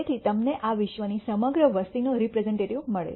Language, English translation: Gujarati, So that you get a representative of the entire population of this world